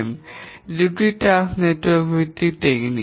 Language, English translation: Bengali, Both of these are task network based techniques